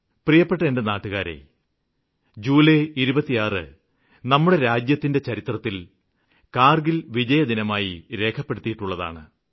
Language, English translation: Malayalam, My dear countrymen, 26th July is marked as Kargil Vijay Diwas in the history of our country